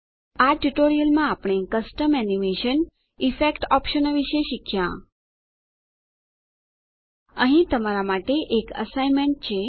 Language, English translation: Gujarati, In this tutorial we learnt about Custom animation, Effect options Here is an assignment for you